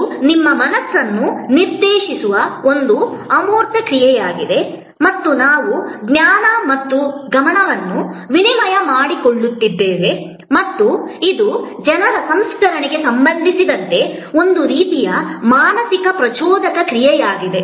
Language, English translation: Kannada, It is an intangible action directed at your mind and we are exchanging knowledge and attention and it is a kind of mental stimulus processing as suppose to people processing